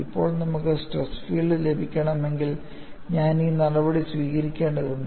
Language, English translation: Malayalam, Now, if we want to get the stress field, I need to take this step and how does this modification affect us